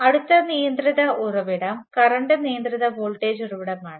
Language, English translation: Malayalam, The last of the controlled sources will consider is the current controlled current source